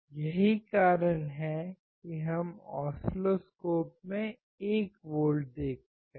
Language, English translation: Hindi, That is what we see 1 volt in the oscilloscope